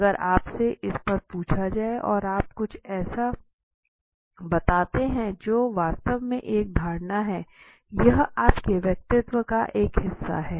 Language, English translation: Hindi, So if you are asked on this and you are saying something that is actually a belief that you have in fact it is your part of the personality okay